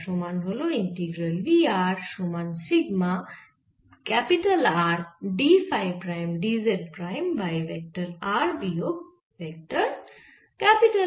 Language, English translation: Bengali, you can write this: i square sin theta prime, d theta prime, d phi prime over vector r minus vector r prime